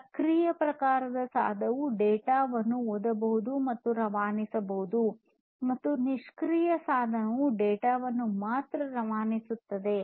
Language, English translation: Kannada, An active device, active type of device can both read and transmit data, and a passive device can only transmit data, but cannot read from the NFC devices